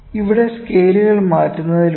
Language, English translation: Malayalam, By just changing the scale here, ok